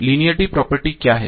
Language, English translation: Hindi, So what is linearity